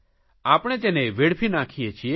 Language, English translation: Gujarati, We are wasting them